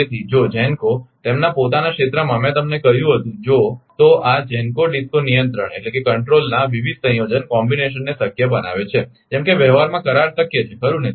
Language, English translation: Gujarati, So, if the GENCOs in their own area I told you, this makes various combination of GENCO DISCO control possible like contract possible in practice right